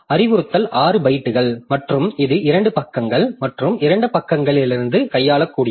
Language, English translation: Tamil, So, instruction is 6 bytes and that can span over 2 pages and 2 pages to handle from and two pages to handle two